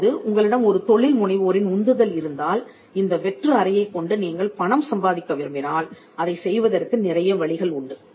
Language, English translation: Tamil, Now if there is an entrepreneurial spirit in you and you want to make some money with this room, there are multiple ways in which you can use this room to make money